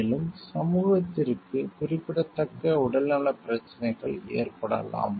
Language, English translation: Tamil, And the significant health problems for the community may result